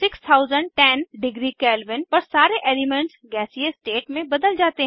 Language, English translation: Hindi, At 6010 degree Kelvin all the elements change to gaseous state